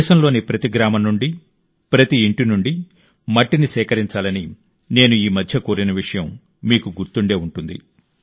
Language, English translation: Telugu, You might remember that recently I had urged you to collect soil from every village, every house in the country